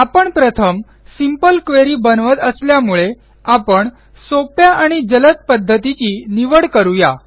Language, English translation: Marathi, Since we are creating a simple query first, we will choose an easy and fast method